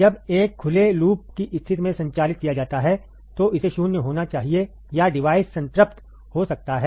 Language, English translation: Hindi, When operated in an open loop condition, it must be nulled or the device may get saturated, right